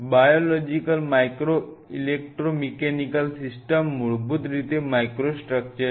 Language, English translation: Gujarati, Biological micro electromechanical systems these are essentially microstructures